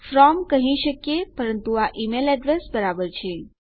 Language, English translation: Gujarati, We could say from but this is similar to email address